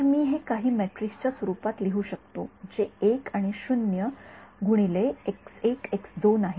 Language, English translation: Marathi, So, I can write this in terms of some matrix which is composed of 1s and 0s multiplied by x 1 x 2